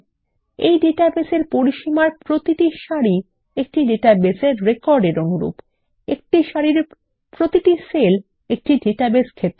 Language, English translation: Bengali, Each row in this database range corresponds to a database record and Each cell in a row corresponds to a database field